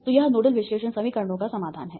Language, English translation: Hindi, ok, so what is my set ofnodal equations